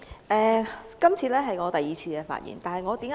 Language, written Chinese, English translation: Cantonese, 主席，這次是我第二次發言。, Chairman this is the second time I have risen to speak